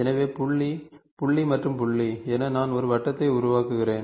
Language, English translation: Tamil, So, point, point and point so I make a circle ok